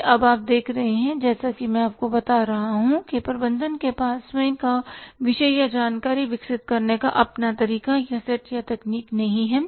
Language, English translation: Hindi, These are now you see as I am telling you that management accounting doesn't have its own discipline or its own way or set or techniques of developing the information